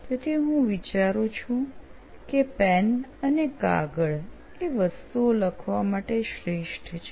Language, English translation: Gujarati, So I think pen and paper is the best to write those things now